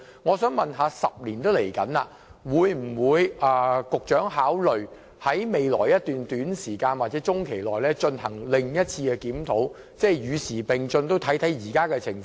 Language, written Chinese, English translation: Cantonese, 我想問，經過差不多10年時間，局長會否考慮在未來一段短時間進行另一次檢討，檢視現時的情況？, Almost a decade has elapsed may I ask whether the Secretary will consider conducting another review in the near future on the present situation?